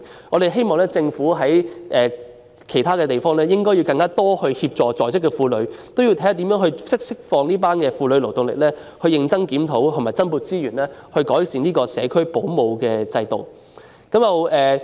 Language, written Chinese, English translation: Cantonese, 我們希望政府透過其他方式協助在職婦女，釋放她們的勞動力，以及認真檢討及增撥資源，改善社區保姆制度。, We hope that the Government will assist working women through other means to release the labour force of these women and carefully review and allocate resources to improve the home - based child carer system . We have also proposed providing financial assistance respectively to two groups ie